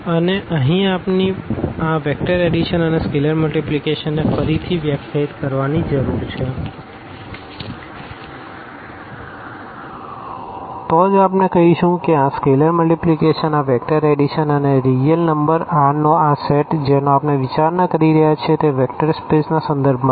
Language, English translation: Gujarati, And, here we need to define again this vector addition and scalar multiplication then only we will say that this is a vector space with respect to this scalar multiplication, this vector addition and this set of real number R which we are considering